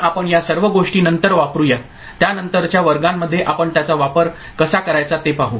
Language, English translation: Marathi, So, we shall make use of all these things later, in subsequent classes we shall see how to make use of it